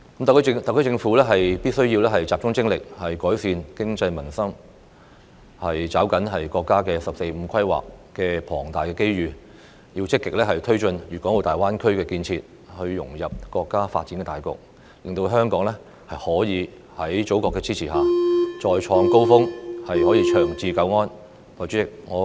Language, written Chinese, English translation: Cantonese, 特區政府必須集中精力，改善經濟民生，抓緊國家"十四五"規劃帶來的龐大機遇，積極推進粵港澳大灣區建設，融入國家發展大局，令香港在祖國的支持下，得以再創高峰，長治久安。, The HKSAR Government must concentrate on improving the economy and peoples livelihoods grasp the great opportunities brought about by the National 14th Five - Year Plan and actively promote the construction of the Guangdong - Hong Kong - Macao Greater Bay Area and integrate into the overall development of our country . This way Hong Kong will be able to with the support of the Motherland scale new heights and achieve long - term stability and lasting peace